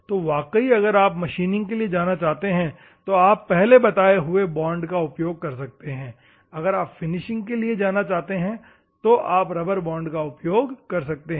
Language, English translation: Hindi, So, if at all I want to machine you can go for the previous ones, if at all you want to go for the finishing normally you can go for a rubber type of bonding